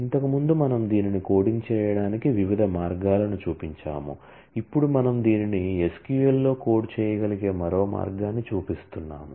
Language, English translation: Telugu, Earlier we have shown different ways of coding this, now we are showing yet another way to be able to code this in SQL